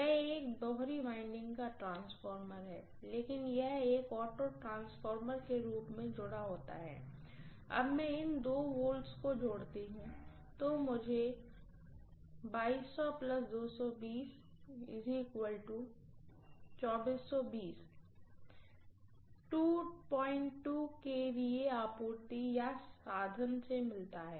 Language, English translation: Hindi, This is a two winding transformer that I am talking about, but this is connected as an auto transformer to derive, let me add these two voltages how much is it 2200 plus 220 2420, 2420 V from a 2